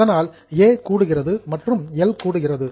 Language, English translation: Tamil, So, A is minus, L is also minus